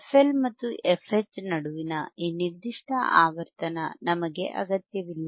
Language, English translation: Kannada, We do not require this particular the frequency between FL and FH